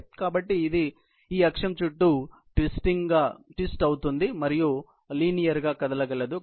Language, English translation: Telugu, So, it is capable of twisting around this axis and also, capable of moving linearly